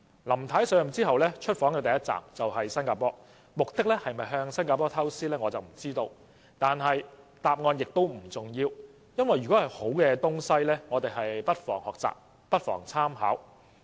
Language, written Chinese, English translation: Cantonese, 林太上任後出訪首站便是新加坡，我不知道她的目的是否向新加坡學習，但答案並不重要，因為只要是好東西，我們不妨學習和參考。, I wonder if the purpose of her visit was to learn from Singapore . The answer is however unimportant for so long as something is good we might as well learn and make reference to it